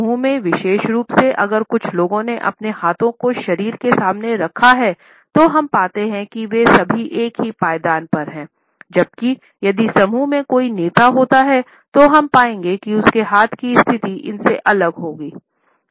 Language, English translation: Hindi, Particularly in a group if a couple of people have held their hands clenched in front of the body, we find that all of them are on the same footing whereas, if there is a leader in the group we would find that his hand position would be different from this